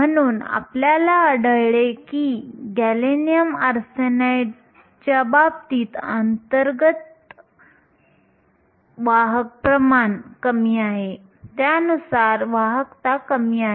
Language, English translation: Marathi, So, we find that in the case of gallium arsenide, intrinsic carrier concentration is lower, correspondingly the conductivity is lower